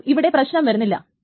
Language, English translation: Malayalam, So, there is no problem with that